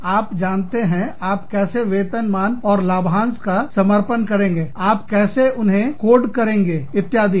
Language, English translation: Hindi, So, you know, how do you format, the compensation and benefits, how do you code them, etcetera